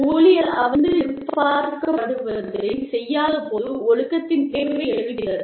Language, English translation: Tamil, The need for discipline arises, when employees are not doing, what is expected of them